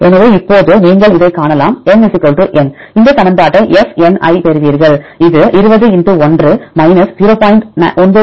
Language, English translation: Tamil, So, now you can see this for if N = n you will get this equation f (n,i) that is equal to 20 * 1 0